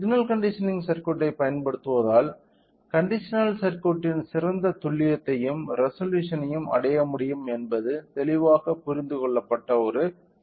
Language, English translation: Tamil, So, one thing it is clearly understood that using a signal conditioning circuit can achieved the best accuracy as well as the resolution of the conditional circuit